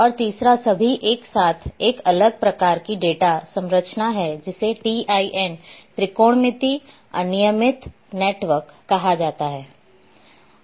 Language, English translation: Hindi, And third is all together new different type of data structure which is called TIN; Triangulated Irregular Network